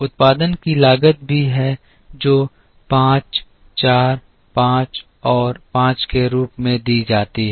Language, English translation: Hindi, There is also a cost of production which is given as 5 4 5 and 5